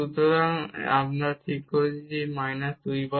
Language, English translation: Bengali, So, we have this 0 minus 0